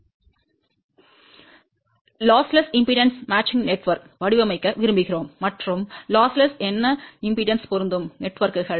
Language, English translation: Tamil, We would like to design a lossless impedance matching network and what are the lossless impedance matching networks